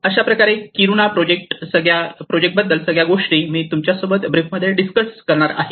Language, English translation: Marathi, So this whole thing I am going to discuss briefly about the Kiruna project